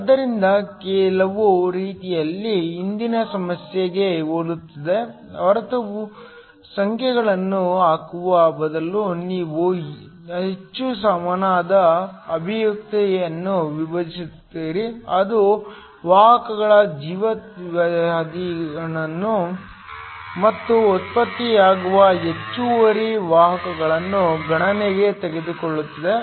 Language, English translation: Kannada, So, In some ways is very similar to the previous problem except that instead of putting numbers, you have divide a more general expression that takes into a account the life time of the carriers and also the excess carriers that are generated